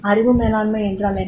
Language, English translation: Tamil, What is knowledge management